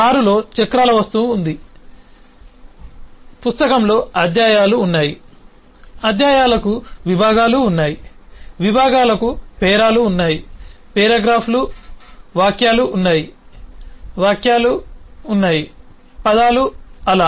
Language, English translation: Telugu, book has chapters, chapters has sections, sections have paragraphs, paragraphs have sentences, sentences have words, so and so forth